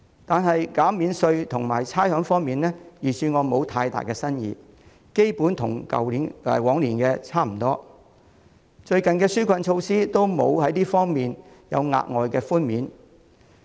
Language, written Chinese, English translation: Cantonese, 但在減免稅項和差餉方面，預算案並無太大新意，基本上與去年差不多，而最近的紓困措施亦沒有在相關方面提供額外寬免。, But when it comes to tax relief and rates concession the measures proposed in the Budget lack new ideas which are generally the same as the ones offered last year and the recent relief measures have not provided extra concessions in the relevant areas either